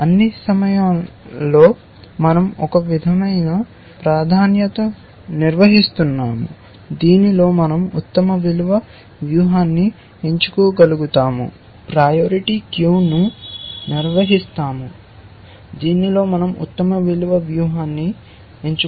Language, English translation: Telugu, At all point, we are maintaining some sort a priority queue in which we are able to pick the best value strategy